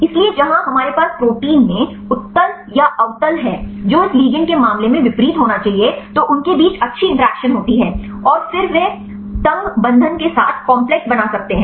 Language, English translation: Hindi, So, where we have the convex or concave in the protein which should be opposite in the case of this ligand, then they have good interactions and then they can make the complex with the tight binding